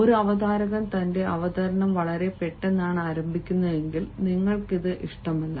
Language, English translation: Malayalam, if a presenter begins his presentation quite abruptly, you wont like it